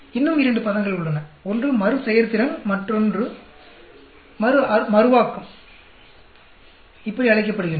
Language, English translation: Tamil, There are two more terms; one is called Repeatability and the other is Reproducibility